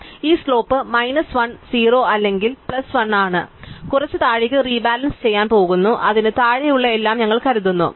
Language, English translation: Malayalam, So, its slope is minus 1 0 or plus 1 and we are going to do some bottom up rebalancing, we are assuming everything below it is case